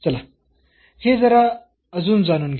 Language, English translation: Marathi, Let us explore this little bit more